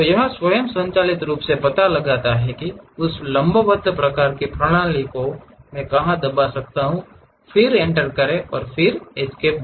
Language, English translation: Hindi, So, it automatically detects where is that perpendicular kind of system I can press that, then Enter, press Escape